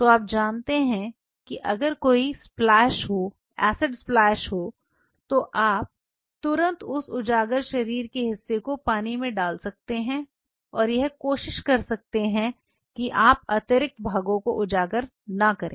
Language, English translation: Hindi, So, that you know even if there is a splash acid splash you can immediately you know put that exposed body part and try not to have exposed body parts